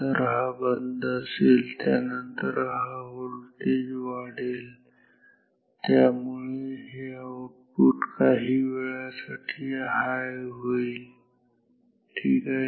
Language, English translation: Marathi, So, this is off, then this voltage will increase which will make this output high after a while ok